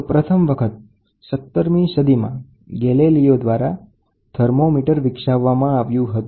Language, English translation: Gujarati, Introduction, the first thermometer was developed by Galileo in the 17th century